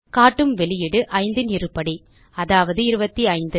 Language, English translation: Tamil, We see that the output displays the square of 5 that is 25